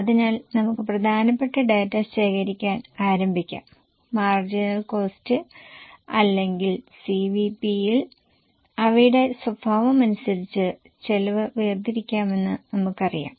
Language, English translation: Malayalam, So, let us start collecting the important data and we know in marginal costing or in CVP, we segregate the costs as for their nature